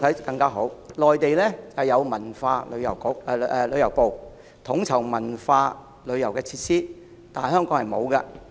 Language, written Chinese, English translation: Cantonese, 在內地是由文化和旅遊部統籌文化旅遊設施，但在香港卻沒有這類部門。, In the Mainland cultural and tourism facilities are coordinated by the Ministry of Culture and Tourism yet Hong Kong lacks a similar department